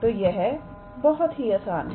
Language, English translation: Hindi, So, this is very simple